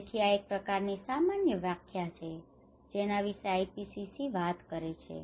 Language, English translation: Gujarati, So, this is a kind of generic definition which IPCC talks about